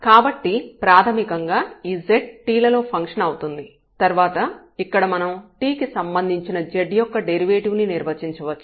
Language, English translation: Telugu, So, basically this z is a function of t and then we can define here the derivative of z with respect to t directly